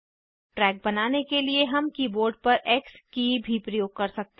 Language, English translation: Hindi, For creating the track, we could also use the X key on the keyboard